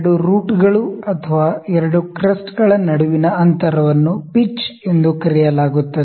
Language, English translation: Kannada, The distance between the 2 roots or 2 crests is known as pitch